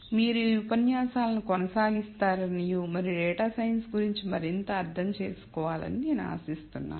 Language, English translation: Telugu, So, I hope to see you continue these lectures and understand more of data science